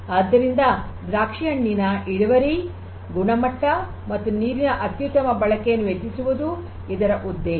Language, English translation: Kannada, So, the objective is to have to increase the yield, increase yield, quality of grapes and optimal use of water